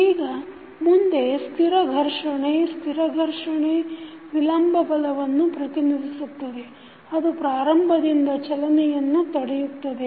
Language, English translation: Kannada, Now, next static friction, static friction represents retarding force that tends to prevent motion from beginning